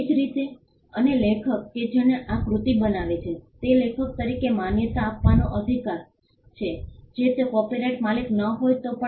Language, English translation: Gujarati, Similarly, and author who creates the work has a right to be recognised as the author even if he is not the copyright owner